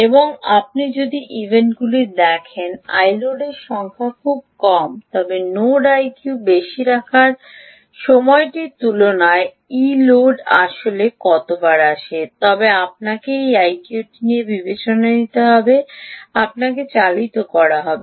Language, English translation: Bengali, and if you have events where i load is very, very small the number of times i load is actually coming up as compared to the time the node is sleeping, i q is high then you will be driven by